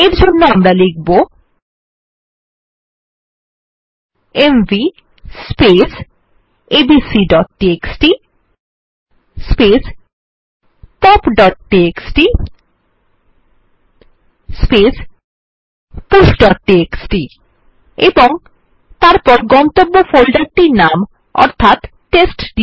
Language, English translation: Bengali, What we need to do is type mv space abc.txt pop.txt push.txt and then the name of the destination folder which is testdir and press enter